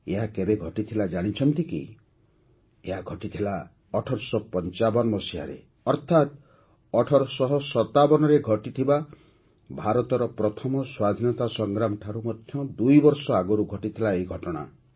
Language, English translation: Odia, This happened in 1855, that is, it happened two years before India’s first war of independence in 1857